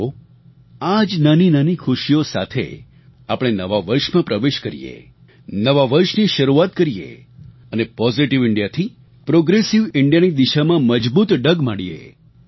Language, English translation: Gujarati, Let us enter into the New Year with such little achievements, begin our New Year and take concrete steps in the journey from 'Positive India' to 'Progressive India'